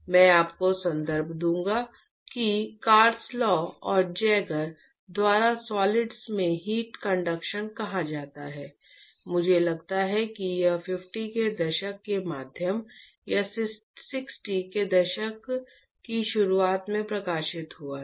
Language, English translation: Hindi, I will give you the reference it is called Heat Conduction in Solids by Carslaw and Jaeger I think it was published in the mid 50s or early 60s